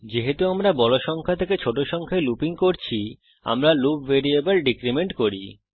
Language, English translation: Bengali, Since we are looping from a bigger number to a smaller number, we decrement the loop variable